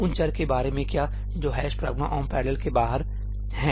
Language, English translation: Hindi, Alright, what about these variables which are outside the ëhash pragma omp parallelí